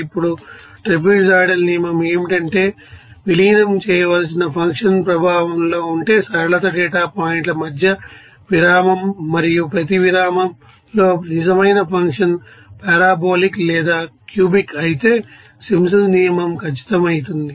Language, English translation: Telugu, Now, the trapezoidal rule is that if the function to be integrated is in effect linear is interval between data points and Simpsons rule is exact if the real function is parabolic or cubic in each intervals